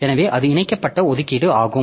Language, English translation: Tamil, So, that is the linked allocation